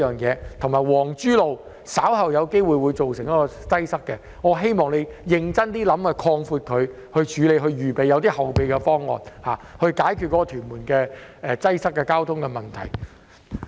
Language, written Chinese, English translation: Cantonese, 此外，皇珠路稍後亦有機會出現擠塞，我希望他會認真考慮將它擴闊，以處理這個情況，並且有一些後備方案，以解決屯門的交通擠塞問題。, I hope he will pay close attention to this matter . In addition as there is also a possibility of traffic congestion on Wong Chu Road later on I hope he will seriously consider widening the road to deal with the situation and there should be some backup plans to tackle the traffic congestion problem in Tuen Mun